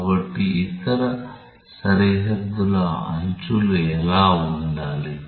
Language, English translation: Telugu, So, what should be the edges of the other boundaries